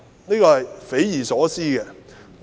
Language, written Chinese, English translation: Cantonese, 這是匪夷所思的。, This is just inconceivable